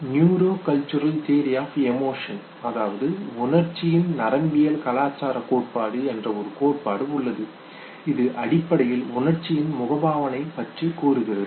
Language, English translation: Tamil, But there is theory called neuro cultural theory of emotion which basically says that the facial expression of emotion